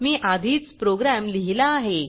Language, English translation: Marathi, I have already written the program